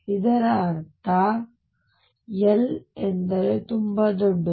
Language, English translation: Kannada, What it means is L is very, very large